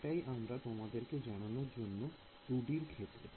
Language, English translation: Bengali, So, that is one thing I wanted to tell you in the case of 2 D